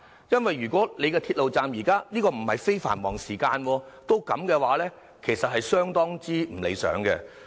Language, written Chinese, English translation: Cantonese, 因為如果鐵路站在非繁忙時間仍然這樣擠迫，其實是相當不理想的。, You know when the MTR stations are still so overcrowded even during off - peak hours the situation is really very unsatisfactory